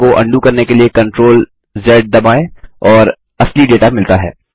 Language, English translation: Hindi, Lets press the CTRL+Z keys to undo the sort and get the original data